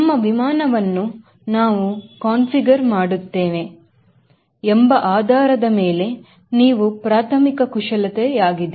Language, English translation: Kannada, these are the primary maneuvers based on will be actually configuring our airplane